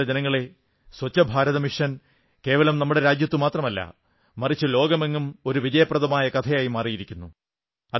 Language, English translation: Malayalam, My dear countrymen, Swachh Bharat Mission or Clean India Mission has become a success story not only in our country but in the whole world and everyone is talking about this movement